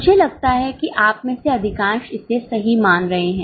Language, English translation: Hindi, I think most of you are guessing it correct